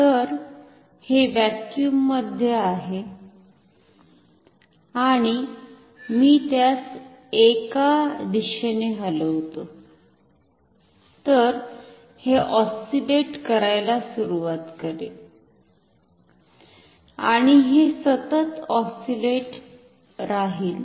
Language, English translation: Marathi, So, this is in vacuum and I move it in either direction, then this will start to oscillate